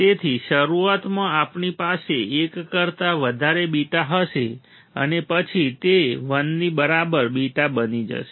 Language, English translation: Gujarati, So, initially we will have a beta greater than one and then it becomes a beta equal to 1, right